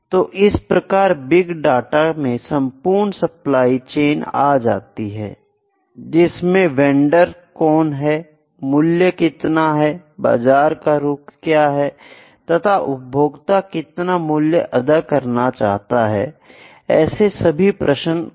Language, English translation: Hindi, So, big data is whole supply chain, who is the vendor, what are the prices, what are the market trends and what would the, what would customer like to pay